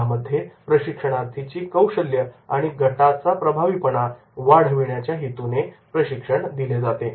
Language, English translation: Marathi, Training is directed at improving the trainees skills as well as the team effectiveness